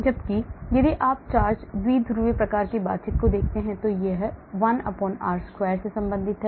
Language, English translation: Hindi, whereas if you look at charge dipole type of interaction it is related to 1/r2